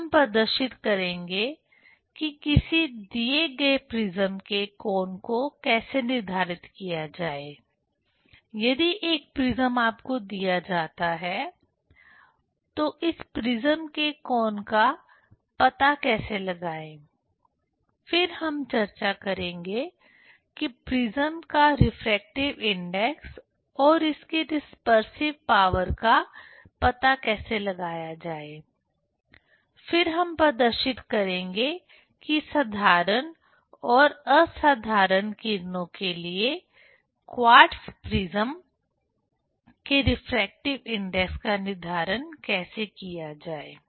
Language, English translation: Hindi, Then we will demonstrate how to determine the angle of a given prism; if one prism is given to you, how to find out the angle of this prism; then we will discuss how to find out the refractive index of the material of the prism and its dispersive power; then will demonstrate how to determine the refractive index of quartz prism for ordinary and extraordinary rays